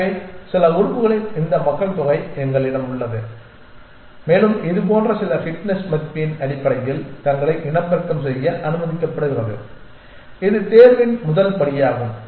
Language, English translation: Tamil, So, we have this population of some elements and they are allowed to reproduce themselves based on some fitness value something like this that is the first